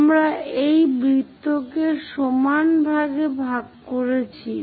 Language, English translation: Bengali, We have divided a circle into 8 equal parts